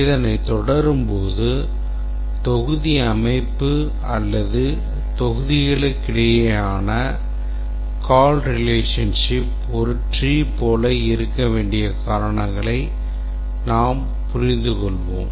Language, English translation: Tamil, As we proceed, we will understand the reasons why the module structure, the call relationship among the modules, should look like a tree